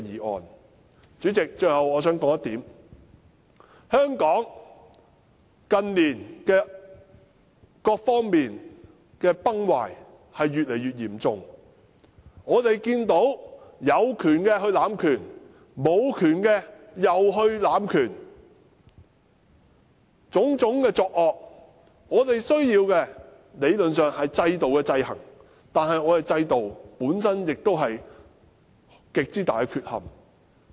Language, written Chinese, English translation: Cantonese, 代理主席，我最後想指出一點，香港近年各方面的崩壞越來越嚴重，我們看到有權的濫權，無權的也濫權，種種惡行，我們理論上需要透過制度制衡，但我們的制度本身亦有極大缺憾。, Deputy President lastly I would like to point out that various aspects of Hong Kong have deteriorated in recent years . We have seen the abuse of power by those having powers and not having powers as well as various evil deeds . Theoretically we need to exercise checks and balances under a system but the system itself has a lot of shortcomings